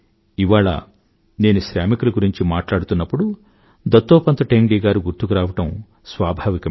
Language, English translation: Telugu, Today when I refer to workers, it is but natural to remember Dattopant Thengdi